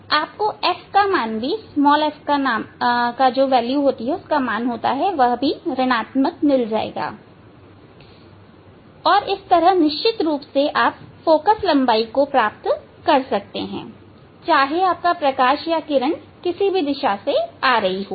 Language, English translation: Hindi, you will get the value of f also negative and; obviously, you can see this these the focal length these the focal length and it is whatever the direction the light